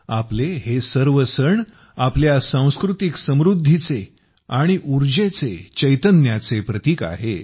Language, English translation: Marathi, All these festivals of ours are synonymous with our cultural prosperity and vitality